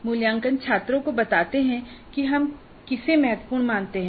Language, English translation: Hindi, Our assessment tools tell the students what we consider to be important